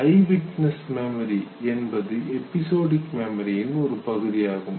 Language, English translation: Tamil, Therefore it is called as episodic memory